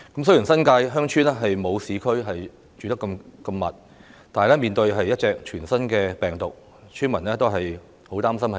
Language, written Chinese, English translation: Cantonese, 雖然新界鄉村居所沒有市區那麼稠密，但面對一種全新病毒，村民均十分擔心受感染。, Although villages in the New Territories are not so densely populated as the urban areas the villagers are very worried about being infected by the novel virus